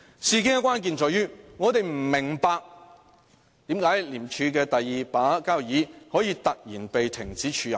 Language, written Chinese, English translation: Cantonese, 事件的關鍵在於，我們不明白為何廉署的"第二把交椅"可以突然被停止署任。, The crux of the incident is that we do not understand why the Number 2 person of ICAC was removed from her acting post all of a sudden